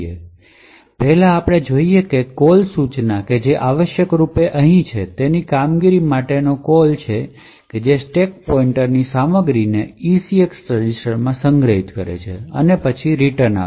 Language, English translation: Gujarati, So, first we see the call instruction which are essentially is a call to this particular function over here which stores the contents of the stack pointer into the ECX register and then returns